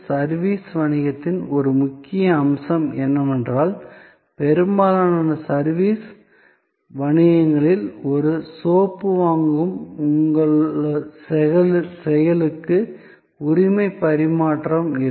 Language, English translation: Tamil, One key element of service business is that, in most service businesses as suppose to your act of buying a soap, there is no transfer of ownership